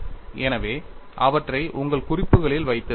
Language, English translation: Tamil, So, you need to have them in your notes